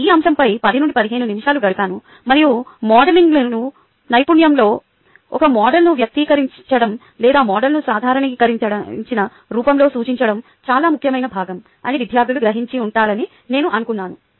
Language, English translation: Telugu, ok, ten to fifteen minutes i spent on this topic and i was thinking that the students would have grass that: expressing a model or representing a model in normalized form is a very important part of modeling skill